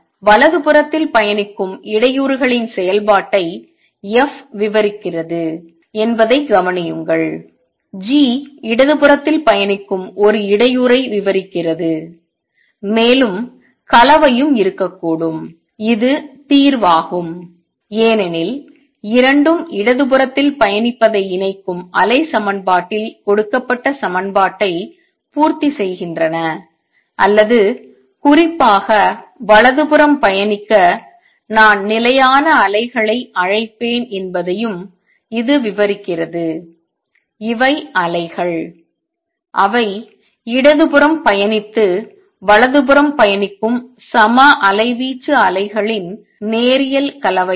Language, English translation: Tamil, Notice that f describes the function in disturbance travelling to the right, g describes a disturbance travelling to the left and there combination could also be there which is the solution, because both satisfy the equation given in the wave equation which combines travelling to the left or to travelling to the right in particular it also describes what would I will call stationary waves; these are waves which are linear combination of equal amplitude waves travelling to the left and traveling to the right